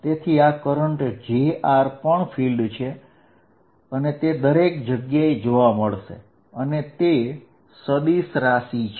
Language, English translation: Gujarati, So, this current j r is also a field, which exist everywhere is a vector quantity